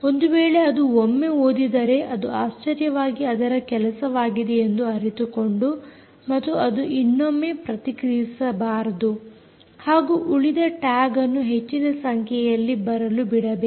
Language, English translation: Kannada, if it is read once, it should be surprised if realizes that it is done and it should not respond back and therefore allows other tags to come back